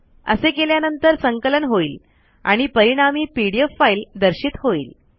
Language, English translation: Marathi, It will compile and the resulting pdf file is displayed